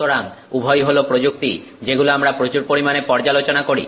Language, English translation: Bengali, So, both of these are you know technologies that we interact with a lot